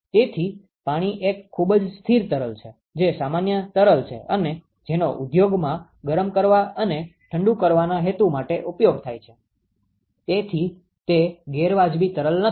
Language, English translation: Gujarati, So, water is a very constant fluid that is normal fluid which is used in the industry for heating and cooling purposes, so that is not an unreasonable fluid